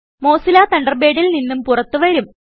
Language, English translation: Malayalam, You will exit Mozilla Thunderbird